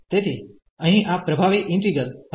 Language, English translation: Gujarati, So, here this was a dominating integral